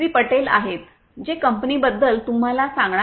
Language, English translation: Marathi, Patel who is going to explain to you about the company